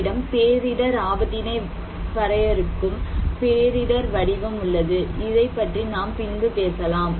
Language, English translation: Tamil, So, we have this model of disaster, defining disaster vulnerability, we will talk this one later on